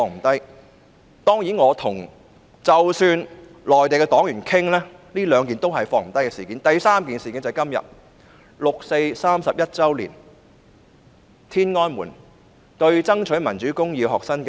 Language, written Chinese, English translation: Cantonese, 第三件事件便是六四事件，今天是六四事件31周年，當年今日在天安門爭取民主公義的學生遭到鎮壓。, The third event is the 4 June incident . Today is the 31 anniversary of the 4 June incident . On this day in that year students fighting for justice in the Tiananmen Square were subject to persecution